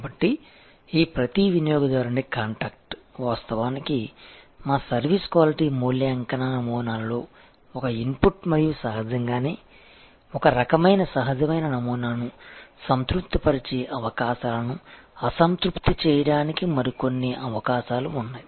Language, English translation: Telugu, So, this each customer contact is actually an input into our service quality evaluation model and obviously, there are more opportunities to dissatisfy the opportunities to satisfy that is kind of a natural paradigm